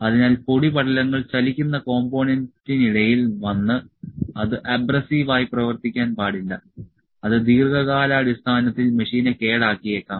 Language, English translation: Malayalam, So, that the dust particles just come in between the moving component and does not act as abrasive, it may deteriorate the machine in the long run